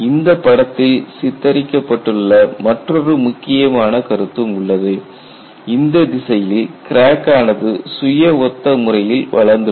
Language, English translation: Tamil, There is also another important concept which is depicted in this picture that crack has grown in this direction in a self similar manner